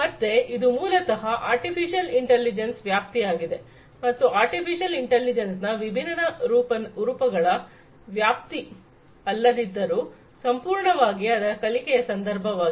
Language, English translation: Kannada, So, this is basically the scope of artificial intelligence and the different forms of not the scope of artificial intelligence, entirely, but in the context of learning